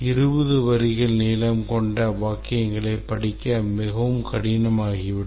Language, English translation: Tamil, A sentence which is 20 lines long would become very difficult to read